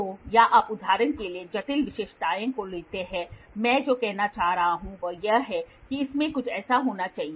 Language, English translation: Hindi, So, or you take complex features for example, what I am trying to say is it should have something like this